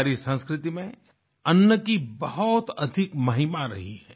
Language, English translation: Hindi, In our culture much glory has been ascribed to food